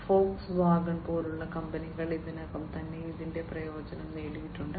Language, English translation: Malayalam, And companies like Volkswagen have already you know benefited out of it